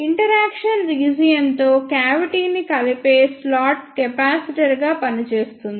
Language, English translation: Telugu, The slot which connects the cavity with the interaction region acts as a capacitor